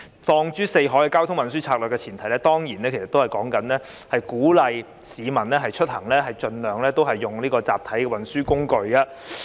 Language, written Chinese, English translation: Cantonese, 放諸四海，交通運輸策略的前提當然是鼓勵市民出行盡量使用集體運輸工具。, The premise of any transport policy around the world is certainly encouraging people to use mass transit carriers as far as possible when they travel